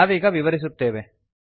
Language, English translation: Kannada, As we explain now